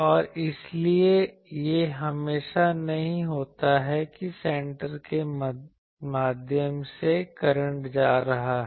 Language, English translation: Hindi, And so, it is not always that the through center the current is going, so that is one thing